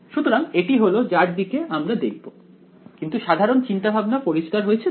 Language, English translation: Bengali, So, this is what we will look at, but is the general idea clear